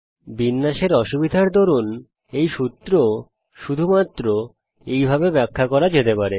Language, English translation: Bengali, Due to a formatting difficulty this formula can be explained only in this way